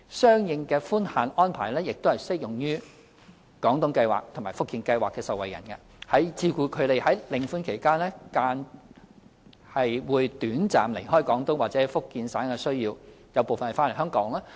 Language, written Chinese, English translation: Cantonese, 相應的寬限安排亦適用於"廣東計劃"和"福建計劃"的受惠人，以照顧他們在領款期間短暫離開廣東或福建省的需要，而部分人是回來香港的。, The permissible absence limits concerned are also applicable to recipients under the Guangdong Scheme and the Fujian Scheme so as to take care of their needs for temporary absence from Guangdong or Fujian Province . And actually some of them are coming back to Hong Kong